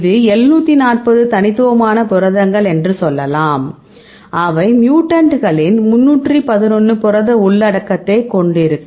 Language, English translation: Tamil, Let us say it is 740 unique proteins right then, they would 311 proteins content of the mutants